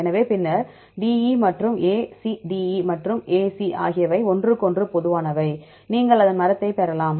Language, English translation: Tamil, So, then DE and A C, the DE and A C are common to each other finally, you can they get the tree